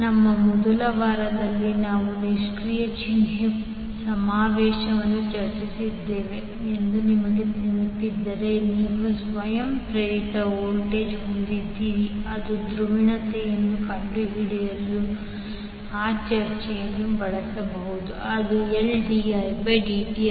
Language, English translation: Kannada, If you remember we discussed the passive sign convention in our first week you can use that discussion to find out the polarity in case of you have self induced voltage that is L dI by dt